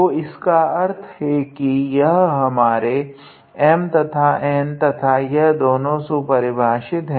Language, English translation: Hindi, So, that means, these are our M and N and they both behave nicely